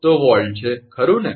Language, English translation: Gujarati, So, this is volt, right